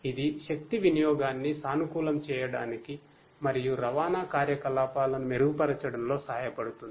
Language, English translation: Telugu, It can help in optimizing the energy consumption, and to improve the transportation operations